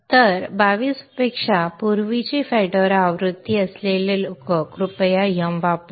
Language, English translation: Marathi, So people having Fedora version earlier than 22 kindly use YUM